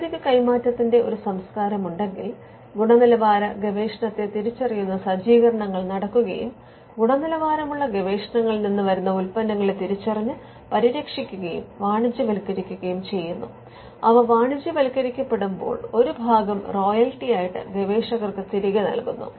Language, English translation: Malayalam, So, if there is a culture of technology transfer then there is going to be setups by which we identify quality research, we identify the products that come out of quality research, we protect them and we commercialize them and when they are commercialized, a portion is paid back to the researchers as royalty